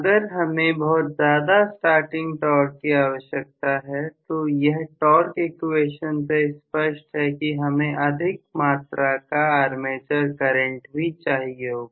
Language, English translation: Hindi, So if I require a larger starting torque very clearly as the torque equation indicates I will require a larger armature current as well